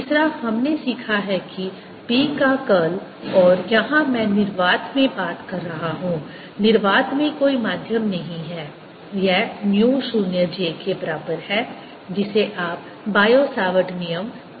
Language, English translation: Hindi, third, we have learnt that curl of b and this i am talking in free space, there's no medium in vacuum is equal to mu zero, j, which you can say is bio savart law